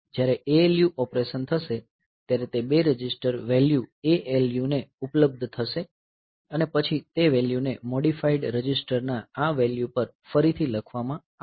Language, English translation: Gujarati, So, those two register values will be I should be available to the ALU when the ALU will do the operation and then it will write back the value on to the value of this of the modified register